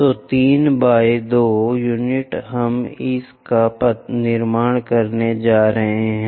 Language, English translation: Hindi, So, 3 by 2 units we are going to construct it